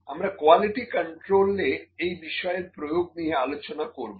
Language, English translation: Bengali, So, this is the application that will do in quality control